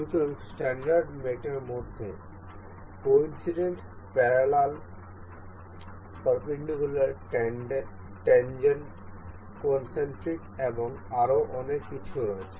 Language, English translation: Bengali, So, in standard mates there are coincident parallel perpendicular tangent concentric and so on